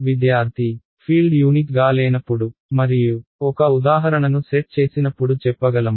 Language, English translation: Telugu, So, can we say when the field is not unique and set a example